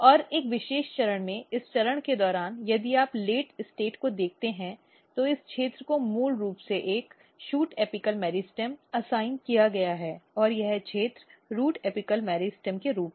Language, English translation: Hindi, And during this stages at a particular stage if you look here this late state, this region is basically assigned as a shoot apical meristem and this region as a root apical meristem